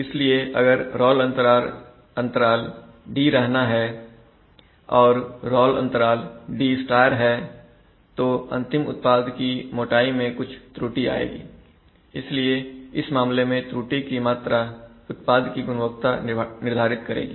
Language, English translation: Hindi, And if the role gap d* let us say and if the actual role gap is d then that will lead to an error in the final product thickness, so in this case the amplitude of the error, amplitude of the error actually decides product quality